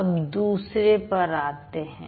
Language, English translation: Hindi, Now let's look at the first one